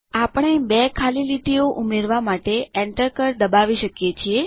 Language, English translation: Gujarati, We can press the Enter key twice to add two blank lines